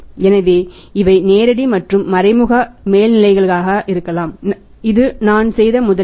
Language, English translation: Tamil, So, these are this maybe they are the direct and indirect overheads this is the investment I have made